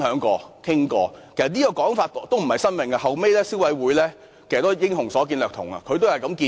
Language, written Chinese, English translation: Cantonese, 這其實也並非甚麼新構思，消費者委員會後來也是"英雄所見略同"，提出相同建議。, This is actually not a new concept . Great minds think alike . The Consumer Council has later made similar proposals